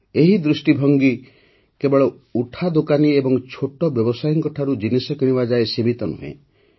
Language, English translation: Odia, This vision is not limited to just buying goods from small shopkeepers and street vendors